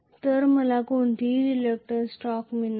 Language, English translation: Marathi, So, I will not get any reluctance torque